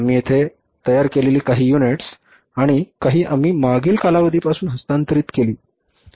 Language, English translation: Marathi, Some units we produced here and some units be transferred from the previous period